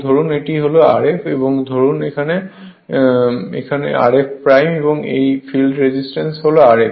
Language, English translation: Bengali, So, as say R f dash and this field resistance is R f right